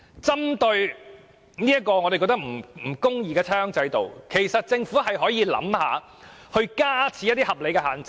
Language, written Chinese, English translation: Cantonese, 針對這個我們認為不公義的差餉制度，政府可以考慮加設一些合理限制。, In respect of this rates concession system which we consider unjust the Government may consider introducing certain reasonable restrictions